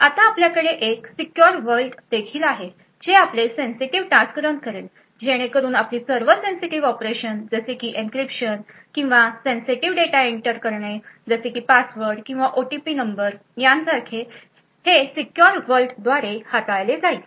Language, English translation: Marathi, Now you would have a secure world as well which would run your sensitive task so all your sensitive operations such as for example encryption or entering sensitive data like passwords or OTP numbers would be handled by the secure world